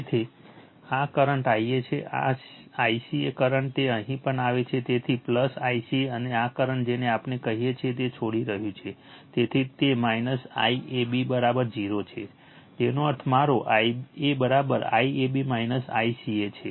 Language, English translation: Gujarati, So, this current is I a, this I ca current it also coming here, so plus I ca and this current is your what we call it is leaving, so it is minus I ab is equal to 0; that means, my I a is equal to I ab minus I ca right